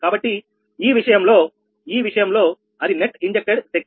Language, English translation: Telugu, so in this case, in a, in this case that net injected power will be right